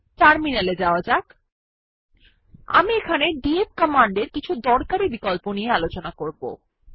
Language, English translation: Bengali, Let us shift to the terminal, I shall show you a few useful options used with the df command